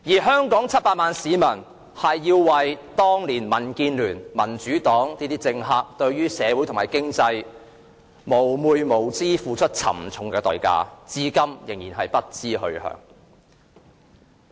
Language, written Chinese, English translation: Cantonese, 香港700萬名市民要為當年民建聯、民主黨等政客對社會和經濟的蒙昧無知付出沉重的代價，至今仍然不知去向。, The 7 million citizens of Hong Kong have to pay a heavy price for the ignorance of politicos from the Democratic Alliance for the Betterment and Progress of Hong Kong DAB and the Democratic Party of society and the economy back then . To date we still have no idea where we are heading